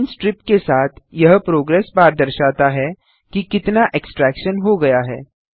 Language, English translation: Hindi, This progress bar with the green strips shows how much of the installation is completed